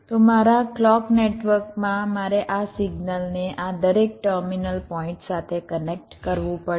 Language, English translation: Gujarati, so in my clock network i have to connect this signal to each of these terminal points